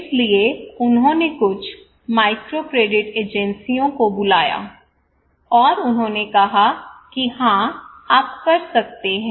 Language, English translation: Hindi, So he called some microcredit agency, and they said okay yes you can